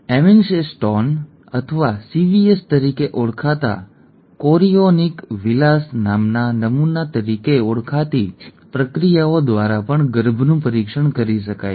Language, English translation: Gujarati, Even foetuses can be tested through procedures called amniocentesis or chorionic villus sampling called CVS